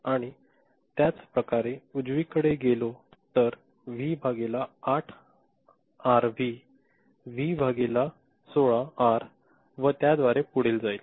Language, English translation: Marathi, And, similarly it will go on right V by 8R, V by 16R and so on and so forth